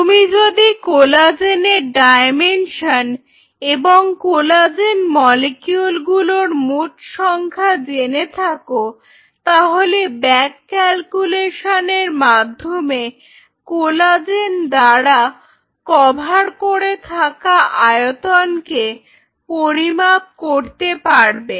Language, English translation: Bengali, So, if you know the dimension of it and if you know the total number then you can back calculate the total volume covered by collagen